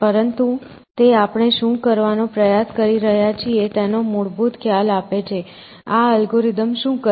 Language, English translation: Gujarati, But, it gives as a basic idea for what we are trying to do, what this algorithm does it generate the search tree